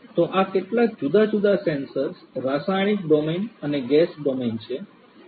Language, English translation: Gujarati, So these are some of these different sensors, the chemical domain and the gas domain that I have mentioned